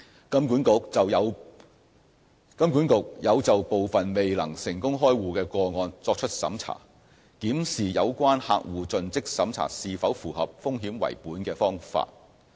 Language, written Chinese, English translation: Cantonese, 金管局有就部分未能成功開戶的個案作出審查，檢視有關客戶盡職審查是否符合"風險為本"的方法。, HKMA has conducted reviews on some of the rejection cases to assess whether a risk - based approach was applied in the CDD process